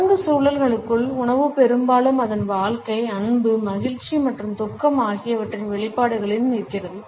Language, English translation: Tamil, Within ritual contexts, food often stands in its expressions of life, love, happiness and grief